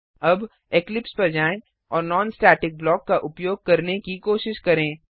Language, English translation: Hindi, Now, let us switch to Eclipse and try to use a non static block